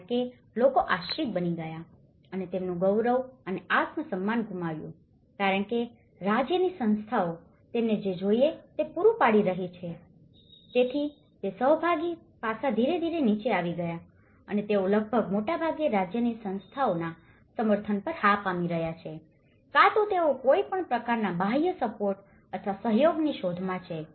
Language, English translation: Gujarati, Because people have become dependent and have lost their dignity and self esteem because state institutions have been providing them whatever they need it, so in that way that participation aspect have gradually come down and they are almost becoming mostly dependent yes on the state institutions support and either they are looking for any kind of external support or a cooperation